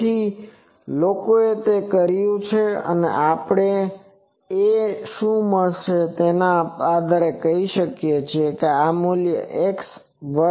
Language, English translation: Gujarati, So, people have done that and on what we will find the a let us say that this x 1 value